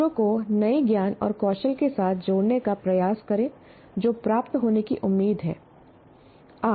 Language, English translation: Hindi, Make effort in making the students engage with the new knowledge and skills they are expected to attain